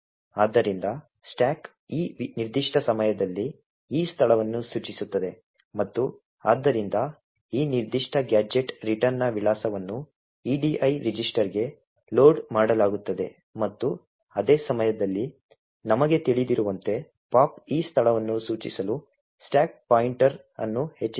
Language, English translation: Kannada, So the stack is at this particular time pointing to this location and therefore the address of this particular gadget return is loaded into the edi register and at the same time as we know the pop would increment the stack pointer to be pointing to this location